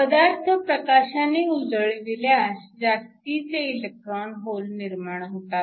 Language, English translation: Marathi, So, we now shine light and the light generates excess electrons in holes